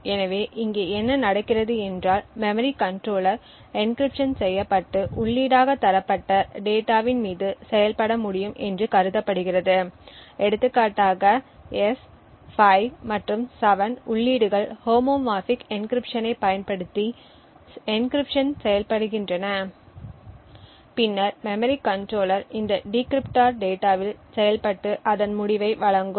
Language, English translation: Tamil, So, here what happens is that the memory controller is assumed to be able to work on encrypted data provide inputs for example S, 5 and 7 it gets encrypted using the homomorphic encryption and then the memory controller will be able to function on this encrypted data and then provide its result